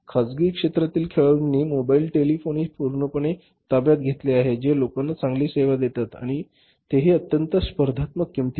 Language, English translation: Marathi, Mobile telephony is fully captured by the private sector players who give the better service to the people and at a very very competitive price